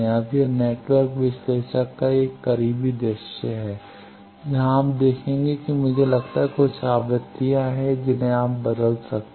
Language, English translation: Hindi, Now, this is a closer view of network analyzer where you will see that I think there are some frequencies you can change